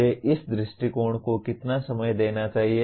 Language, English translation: Hindi, How much time should I follow this approach